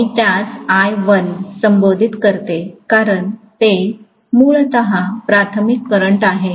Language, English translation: Marathi, Let me call that as I1 because it is essentially the primary current